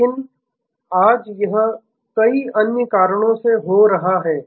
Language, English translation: Hindi, But, today it is happening due to various other reasons